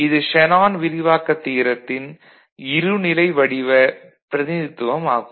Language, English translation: Tamil, So, this is the dual form representation of Shanon’s expansion theorem